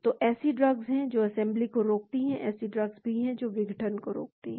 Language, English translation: Hindi, so there are drugs which prevent the assembly, there are drugs which prevent the disassembly